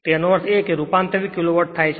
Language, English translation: Gujarati, So, that means it is converted kilo watt